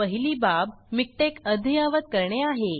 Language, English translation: Marathi, The first thing is to update MikTeX